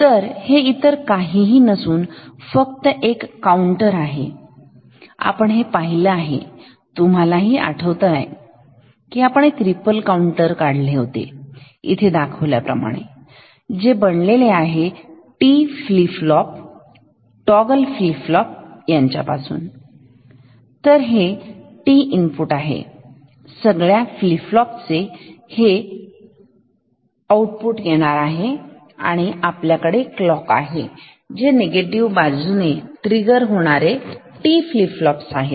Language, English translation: Marathi, So, do you recall that we have drawn a ripple counter like this, which is made up of a number of T flip flops toggle flip flops and these are the T inputs of all these flip flops, these are their outputs and we have clocks these are negative edge triggered T flip flops the way